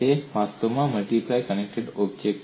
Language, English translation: Gujarati, It is actually a multiply connected object